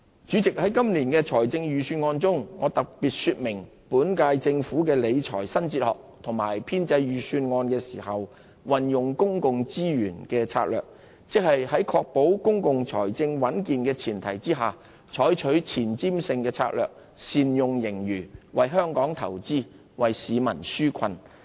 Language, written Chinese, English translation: Cantonese, 主席，在今年的預算案中，我特別說明本屆政府的理財新哲學和編製預算案時運用公共資源的策略，即在確保公共財政穩健的前提下，採取前瞻性的策略，善用盈餘，為香港投資，為市民紓困。, President in this years Budget I specifically highlighted the new fiscal philosophy of the current - term Government and the strategy of utilizing public resources in the formulation of the Budget ie on the premise of ensuring the health of our public finance the Government should adopt a forward - looking strategy in optimizing the use of surplus to invest for Hong Kong and relieve our peoples burdens